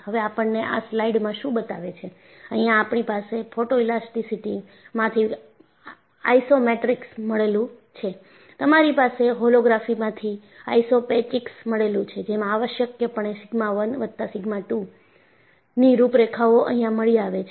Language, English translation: Gujarati, And, what this slide show is, you have the Isochromatics from Photoelasticity, you have Isopachics from Holography, which are essentially contours of sigma 1 plus sigma 2